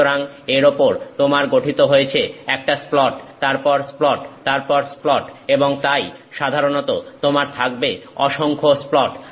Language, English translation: Bengali, So, you have a splat after splat after splat forming on it and so, you usually will have multiple splats